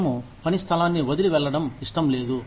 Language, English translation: Telugu, We do not want to leave the place of work